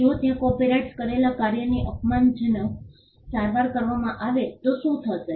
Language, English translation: Gujarati, What would happen if there is derogatory treatment of a copyrighted work